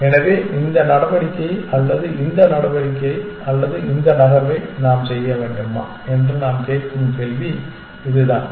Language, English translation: Tamil, So, that is the question we are asking should we make this move or this move or this move essentially